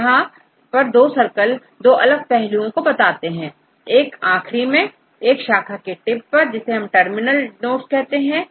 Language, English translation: Hindi, So, here these two circles, they represent different aspects, the one with the ends, tip of the branches they are called the terminal nodes